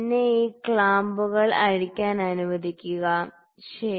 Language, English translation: Malayalam, Let me loosen this clamps, ok